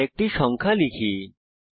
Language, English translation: Bengali, Let us enter another number